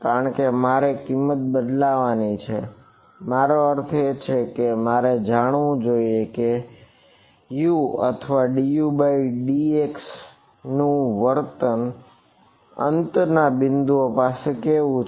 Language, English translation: Gujarati, Because I have to substitute the value I mean I need to know: what is the behavior of U or du by dx at the endpoints